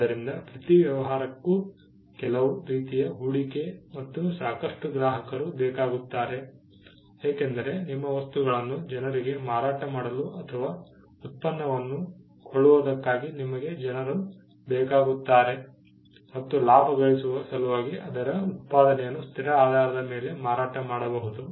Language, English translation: Kannada, So, every business requires some form of investment and enough customers because you need people to buy your stuff to whom, its output can be sold on a consistent basis, in order to make profit